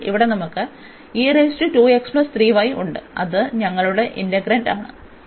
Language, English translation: Malayalam, So, this is the first integral the inner one